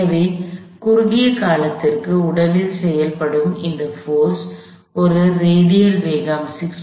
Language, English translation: Tamil, So, this force acting on the body for a very short period of time causes a radial velocity of 6